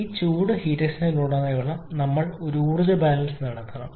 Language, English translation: Malayalam, We have to perform an energy balance across this heat exchanger